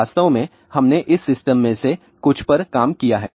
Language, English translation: Hindi, So, in fact, we have worked on some of these system